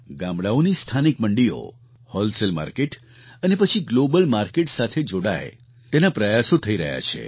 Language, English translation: Gujarati, Efforts are on to connect local village mandis to wholesale market and then on with the global market